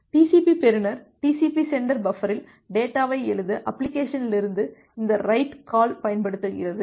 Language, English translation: Tamil, TCP get uses this write calls from the application to write the data in the TCP sender buffer